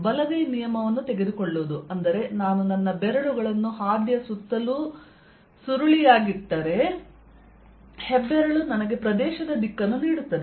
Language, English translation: Kannada, that means if i curl my fingers around the path, the thumb gives me the direction of the area